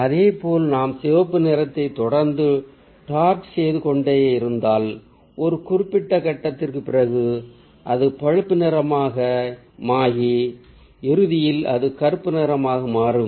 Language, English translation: Tamil, in a same way, if we keep on making the red darker, then after certain point it will become brownish and at the end it'll turn into black